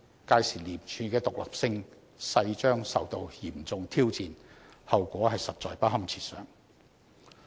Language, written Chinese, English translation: Cantonese, 屆時，廉署的獨立性勢將受到嚴重挑戰，後果實在不堪設想。, The independence of ICAC will come under severe challenge and the consequences will be beyond imagination